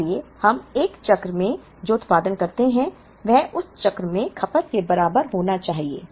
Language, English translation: Hindi, So, what we produce in 1 cycle should be equal to what we consume in that cycle